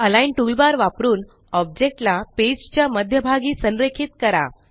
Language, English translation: Marathi, Then use the Align toolbar and align the objects to the centre of the page